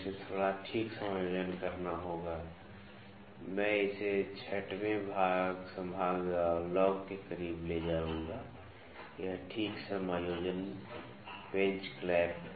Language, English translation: Hindi, So, it has to be a little fine adjustment I will take it closer to the 6th division lock, this fine adjustment screw clamp